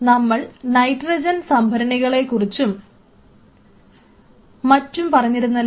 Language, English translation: Malayalam, So, you have to have I told you about the nitrogens storage and everything